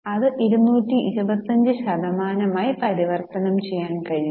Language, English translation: Malayalam, You can convert it into percentage which comes to 225%